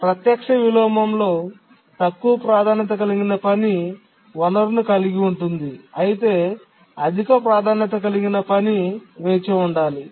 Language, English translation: Telugu, Let me repeat again that in a direct inversion, a lower priority task is holding a resource, the higher priority task has to wait